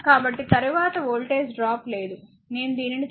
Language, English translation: Telugu, So, there is no voltage drop later, we will see this